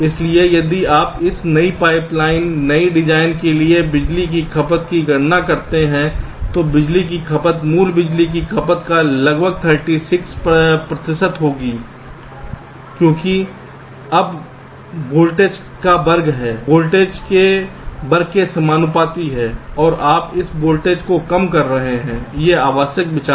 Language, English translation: Hindi, so if you compute the power consumption, so for the power for this new pipe line, new design, the power consumption was about thirty six percent of the original power consumption, because it is square of the voltage, proportional to square of the voltage, and you are reducing this voltage